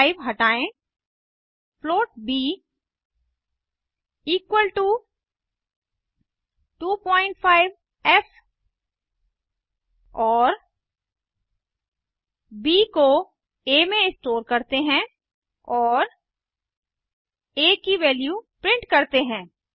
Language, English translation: Hindi, Remove the 5 float b equal to 2.5f and let us store b in a and print the value of a